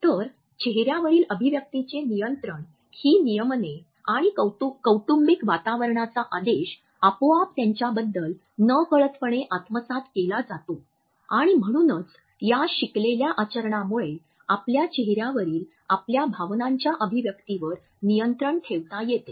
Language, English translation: Marathi, So, the control of the facial expression, these conventions and family atmospheres dictate is done automatically is imbibed in a subconscious manner without being aware of them and therefore, these learnt behaviors allow us to control the expression of our emotions on our face